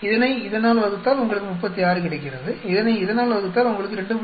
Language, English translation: Tamil, This divided by this gives you 36, this divided by this gives you 2